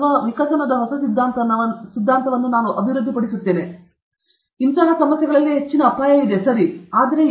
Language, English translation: Kannada, Or I will develop a new theory for the evolution; high risk problem okay